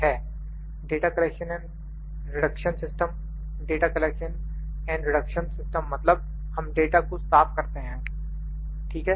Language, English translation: Hindi, Number 3 is the data collection and reduction system, data collection data reduction means we clean the data, data cleaning, ok